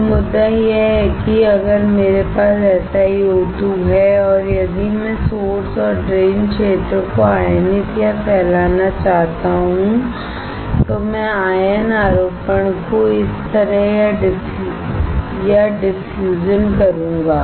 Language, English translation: Hindi, So, the point is that if I have SiO2 and if I want to diffuse or ion implant the source and drain region, then I will do the ion implantation like this or diffusion